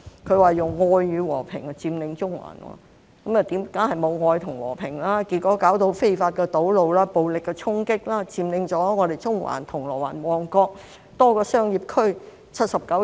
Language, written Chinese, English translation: Cantonese, 他說用愛與和平佔中環，當然沒有愛與和平，結果變成非法堵路、暴力衝擊，佔領了中環、銅鑼灣和旺角多個商業區79天。, Of course there was no love and peace . It ended up in illegal road blockage and violent attacks . Many commercial districts in Central Causeway Bay and Mong Kok had been occupied for 79 days